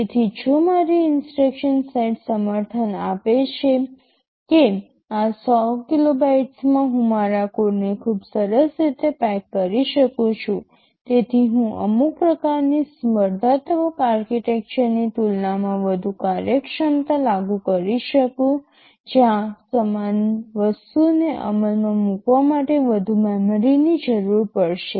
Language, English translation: Gujarati, So, if my instruction set supports that in this 100 kilobytes, I can pack my code very nicely, so that I can implement more functionality greater functionality as compared with some kind of competing architecture where a much more memory would be required to implement the same thing